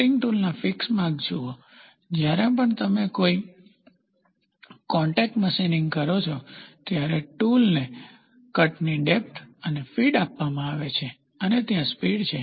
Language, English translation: Gujarati, See the feed marks of the cutting tool, whenever you do a contact machining, the tool is given depth of cut, depth of cut, feed and there is a speed